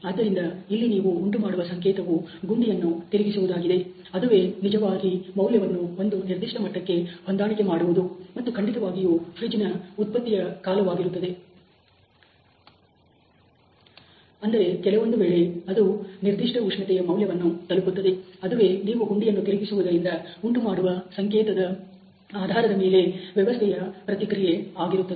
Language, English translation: Kannada, So, the signal that you are generating is that turning of the knob which is actually setting the value to a certain level, and the output of refrigerator of course is the time that it would I mean in sometime it would come to that particular temperature value that is the response of the system based on the signal that you are generating in terms of turning the knob